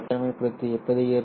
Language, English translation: Tamil, How does an isolator look like